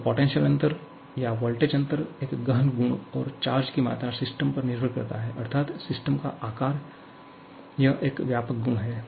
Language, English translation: Hindi, So, potential difference or voltage difference is an intensive property and the amount of charge that depends on the system, size of the system, so that is an extensive property